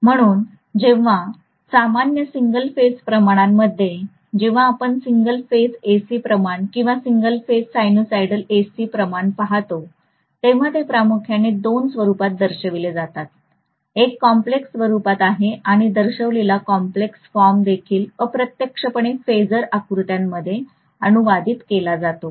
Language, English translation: Marathi, So in general single phase quantities when we look at single phase AC quantity or single phase sinusoidal AC quantities, they are represented mainly in two forms, one is in complex form and the complex form indicated is also indirectly translating into phasor diagram